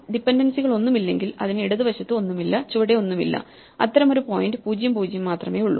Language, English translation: Malayalam, If there are no dependencies, it must have nothing to its left and nothing below and there is only one such point namely (0, 0)